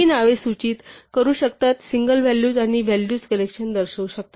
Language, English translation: Marathi, These names can denote can be denote single values or collections of values